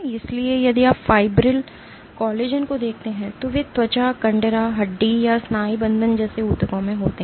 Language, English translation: Hindi, So, if you look at fibril collagen they are in tissues like skin, tendon, bone or ligaments